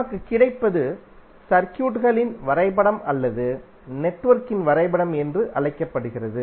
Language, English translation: Tamil, So what we get is called the graph of the circuit or graph of the network